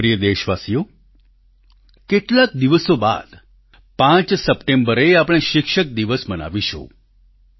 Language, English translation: Gujarati, My dear countrymen, in a few days from now on September 5th, we will celebrate Teacher's day